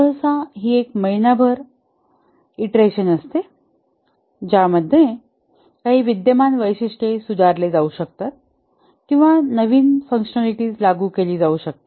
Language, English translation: Marathi, Usually it's a month long iteration in which some existing features might get improved or some new functionality may be implemented